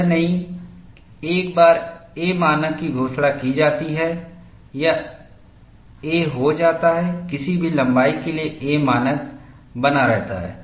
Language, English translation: Hindi, It is not, once a standard is announced, it becomes a, remains a standard for any length of time